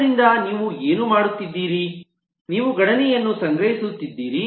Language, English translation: Kannada, so what you are doing, you are caching the computation